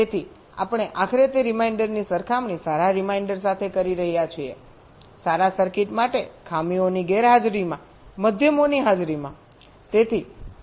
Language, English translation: Gujarati, so we are finally comparing that reminder with the good reminder in presence of means, in the absence of faults for the good circuit